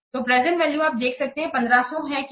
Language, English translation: Hindi, So the present value, you can see that 15,000 is what